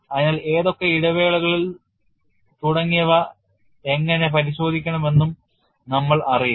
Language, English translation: Malayalam, So, we will also know how to inspect at what intervals and so on and so forth